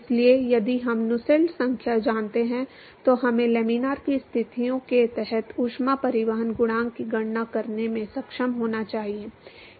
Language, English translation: Hindi, So, if we know Nusselts number we should be able to calculate the heat transport coefficient under laminar conditions